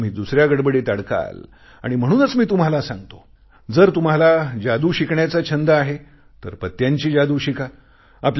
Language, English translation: Marathi, At that time you will be tangled into other things and therefore I tell you if you have a passion to learn magic then learn the card tricks